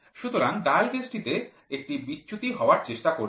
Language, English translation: Bengali, So, the dial gauges will try to get deflection